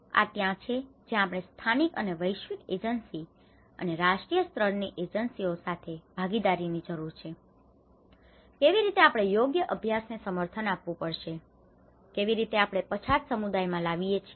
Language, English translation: Gujarati, This is where we need the build partnerships with various local and global agencies and national level agencies, how we have to advocate these right practices, how we can bring these things to the marginalized communities